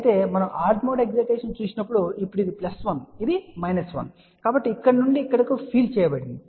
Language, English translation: Telugu, However, when we look at the odd mode excitation , now let us say this is plus 1 this is minus 1, so there will be field going from here to here